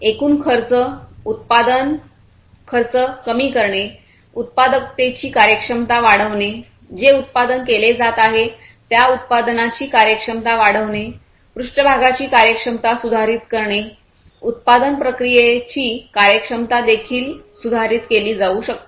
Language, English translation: Marathi, Reducing the overall cost, cost of production; increasing the efficiency, efficiency of productivity, efficiency of the product, that is being done that is being manufactured, the improving the efficiency of the surfaces, efficiency of the production processes can also be improved